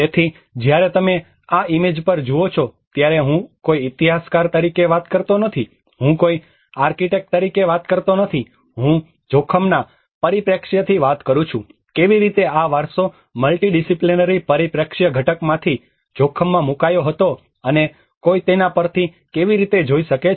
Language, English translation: Gujarati, \ \ \ So, when you see at this image, I am not talking about as an historian, I am not talking about as an architect, I am talking from a risk perspective, how this heritage component subjected to risk and how one can look at from a multidisciplinary perspective